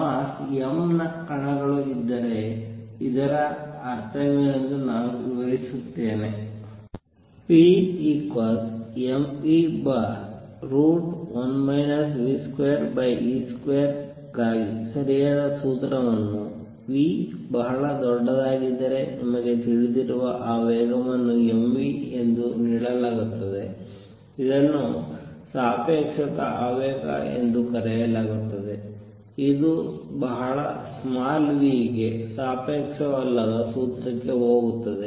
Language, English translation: Kannada, Let me explain what is that mean if there is a particles of mass m moving with speed v whose momentum you know is given as m v if the v is very large the correct formula for p is m v over square root of 1 minus v square over c square this is known as relativistic momentum, which for very small v goes over to the non relativistic formula